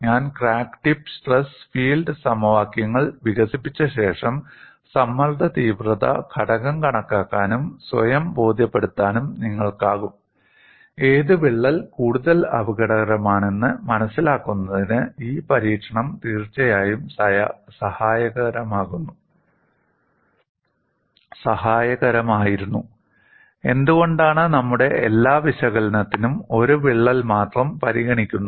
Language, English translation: Malayalam, In the next class, after I develop crack tip and stress field equations, you would also be in a position to calculate the stress intensity factor and convince yourself, the experiment was indeed helpful in understanding which crack is more dangerous and why we consider only one crack for all our analysis